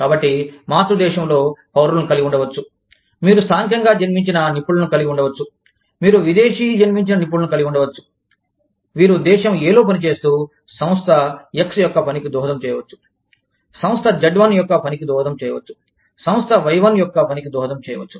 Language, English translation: Telugu, So, within the parent country, you could have citizens, you could have native born professionals, you could have foreign born professionals, serving in Country A, that are contributing to the working of, the Firm X, that are contributing to the working of Firm Y1, that are contributing to the working of Firm Z